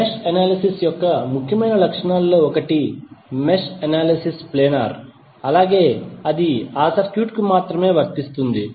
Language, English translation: Telugu, One of the important property of mesh analysis is that, mesh analysis is only applicable to the circuit that is planer